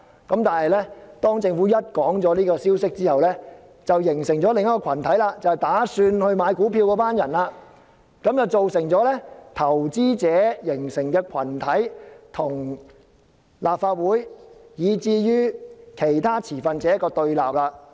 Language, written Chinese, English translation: Cantonese, 可是，當政府公布消息後，有意購買股票的人便形成另一個群體，從而造成投資者與立法會以至其他持份者的對立。, However once the Government announced its plan those who were interested in subscribing to the shares formed a separate group thereby giving rise to the confrontation between investors and the Legislative Council as well as other stakeholders